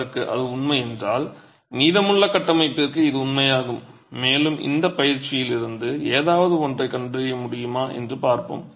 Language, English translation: Tamil, What is true for that is then true for the rest of the structure and let's see if we can deduce something out of this exercise